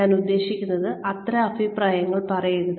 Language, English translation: Malayalam, I mean, do not make such comments